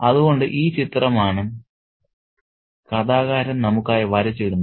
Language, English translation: Malayalam, So, this is the picture that the narrator paints for us